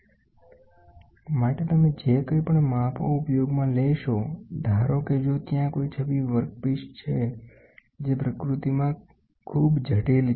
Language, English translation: Gujarati, Whatever you are used for measurement suppose if there is an image workpiece which is too complex in nature